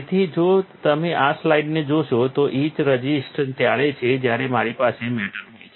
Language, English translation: Gujarati, That if you, if you see this slide etch resistance is when, if I have a metal, right